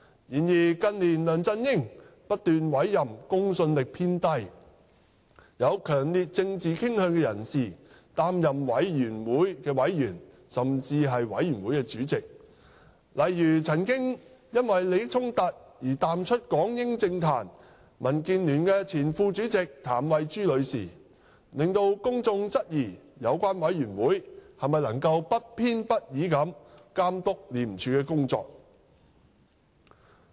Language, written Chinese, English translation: Cantonese, 然而，近年梁振英不斷委任公信力偏低、有強烈政治傾向的人士擔任委員會委員，甚至委員會主席，例如曾因利益衝突而淡出港英政壇、民主建港協進聯盟前副主席譚惠珠女士，令公眾質疑有關委員會能否不偏不倚地監督廉署的工作。, In recent years however LEUNG Chun - ying has kept on appointing people with low credibility and strong political inclination as members or even Chairman of ORC such as former Vice - Chairman of the Democratic Alliance for the Betterment and Progress of Hong Kong Ms Maria TAM who faded out of politics during the Hong Kong - British era due to a conflict of interests . This has aroused queries among the public about whether these committees can monitor the work of ICAC in an impartial manner